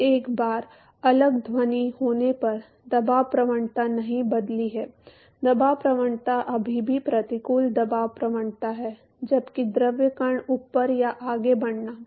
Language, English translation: Hindi, Now once is separate sound the pressure gradient has not changed the pressure gradient is still adverse pressure gradient while the fluid particles above or moving forward